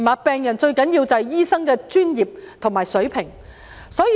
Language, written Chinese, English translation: Cantonese, 病人最需要的，是醫生的專業及水平。, The professionalism and standards of doctors are of the utmost importance to patients